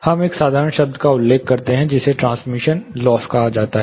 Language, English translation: Hindi, We refer to a simple term called transmission loss